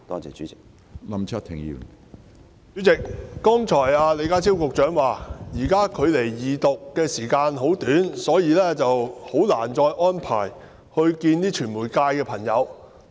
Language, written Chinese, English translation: Cantonese, 主席，李家超局長剛才表示，現時距離法案二讀的時間很短，所以難以再安排會見傳媒界朋友。, President according to Secretary John LEE earlier time was running short before the Resumption of the Second Reading of the Bill and thus it was difficult to arrange to meet the media again